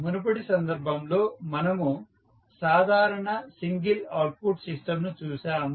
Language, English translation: Telugu, In the previous case we saw the simple single output system